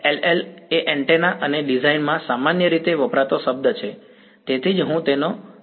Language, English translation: Gujarati, SLL is a very commonly used word in antenna and design that's why I mention it over here